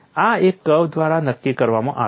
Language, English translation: Gujarati, This is dictated by a curve